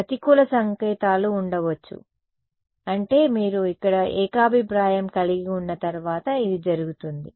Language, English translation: Telugu, Negative signs may be there I mean this is once you have consensus over here